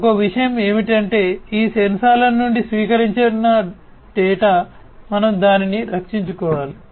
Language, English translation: Telugu, So, one thing is that the data that is received from these sensors, we can we have to protect it